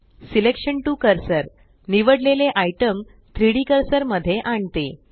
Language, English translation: Marathi, Selection to cursor snaps the selected item to the 3D cursor